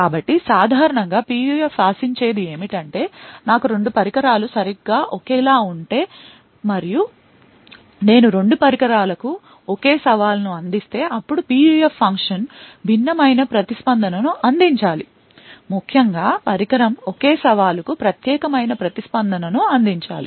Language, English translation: Telugu, So, typically what is expected of a PUF is that if I have two devices which are exactly identical and I provide the same challenge to both the devices, then what a PUF function should do is that it should provide a response which is different, essentially each device should provide a unique response for the same challenge